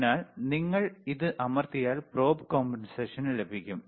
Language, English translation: Malayalam, So, you press this and the probe compensation is done